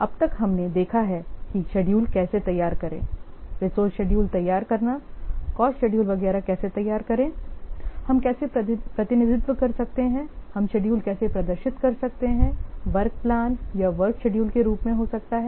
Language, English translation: Hindi, far we have seen how to prepare schedules prepare resource schedules how to prepare cost schedules etc how can represent how can display the schedules may be in the form of a work plan or work schedule